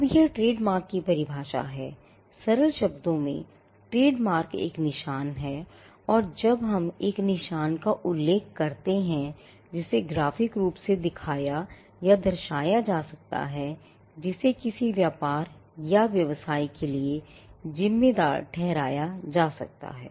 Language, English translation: Hindi, Now, this is the definition of the trademark “A trademark in simple terms is a mark and when we say a mark we refer to something that can be graphically symbolized or something which can be shown graphically which is attributed to a trade or a business”